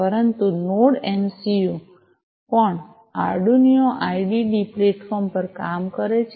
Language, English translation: Gujarati, But node Node MCU also works on the Arduino IDE platform, right